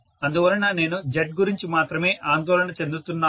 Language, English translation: Telugu, So that is why I am worried about only Z